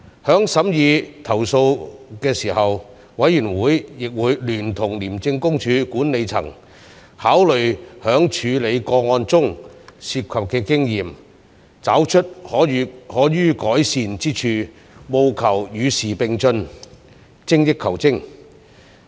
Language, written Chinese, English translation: Cantonese, 在審議投訴時，委員會亦會聯同廉政公署管理層，考慮在處理個案中涉及的經驗，找出可予改善之處，務求與時並進，精益求精。, Together with ICAC management we also looked into areas where ICAC officers need to strengthen themselves based on the lessons learnt from the complaints considered with a view to keeping abreast of the times and striving to excel themselves